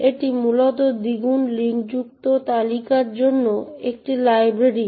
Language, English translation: Bengali, It is essentially a library for doubly linked list